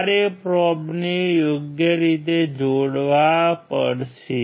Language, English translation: Gujarati, You have to connect the probe in a proper manner